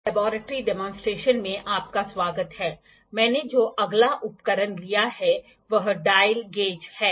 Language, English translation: Hindi, Welcome back to the laboratory demonstration, the next instrument I have taken is dial gauge